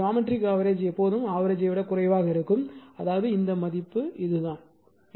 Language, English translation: Tamil, So, geometric mean is always less than arithmetic mean; that means, this value this is the way